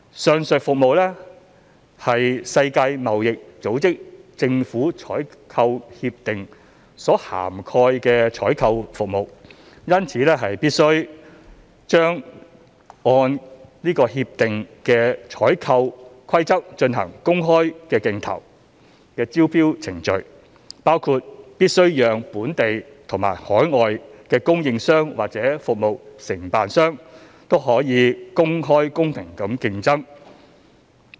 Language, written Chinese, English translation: Cantonese, 上述服務為《世界貿易組織政府採購協定》所涵蓋的採購服務，因此必須按該協定的採購規則進行公開競投的招標程序，包括必須讓本地及海外的供應商或服務承辦商均可公開公平地競爭。, Such services are considered procurement services covered by the Agreement on Government Procurement of the World Trade Organization WTO GPA . Therefore it must be procured through open tendering procedures in accordance with the operational rules of WTO GPA which includes providing an open and fair competition amongst local and overseas suppliers and service providers